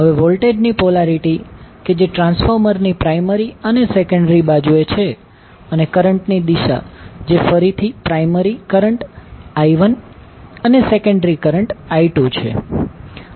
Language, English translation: Gujarati, Now, the polarity of voltages that is on primary and secondary side of the transformer and the direction of current I1, I2 that is again primary current and the secondary current